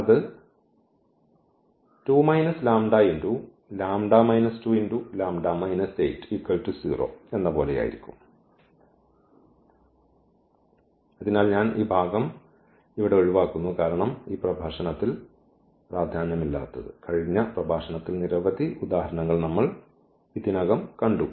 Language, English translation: Malayalam, So, I skip this portion here because in this lecture that is not important, we have already seen for several examples in the last lecture